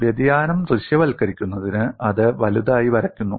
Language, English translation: Malayalam, In order to visualize the variation, it is drawn big